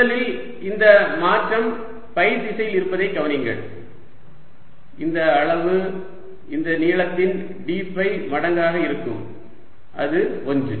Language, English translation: Tamil, notice first that this change is in the direction phi and this magnitude is going to be d phi times this length, which is one